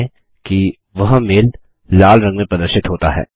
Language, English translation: Hindi, Notice that the mail is displayed in the colour red